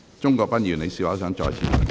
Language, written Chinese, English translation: Cantonese, 鍾國斌議員，請發言。, Mr CHUNG Kwok - pan please speak